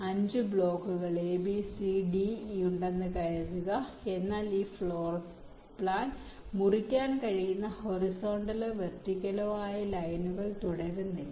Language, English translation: Malayalam, suppose there are five blocks a, b, c, d, e but there is no continues horizontal or vertical lines that can slice this floorplans